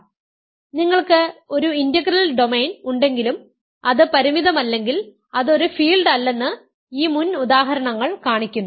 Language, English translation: Malayalam, So, these examples show that if you have an integral domain, but it is not finite it is not a field